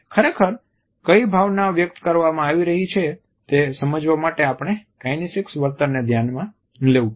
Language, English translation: Gujarati, In order to understand what exactly is the emotion which is being conveyed, we have to look at accompanying kinesicbehavior